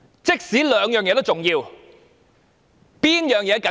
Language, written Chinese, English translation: Cantonese, 即使兩者同樣重要，何者較為緊急？, Even though the two issues are equally important which one is a matter of greater urgency?